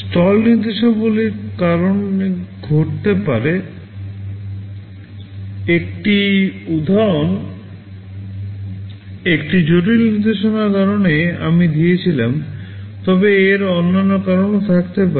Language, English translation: Bengali, Stall instructions can occur due to this, one example I gave because of a complex instructions, but there can be other reasons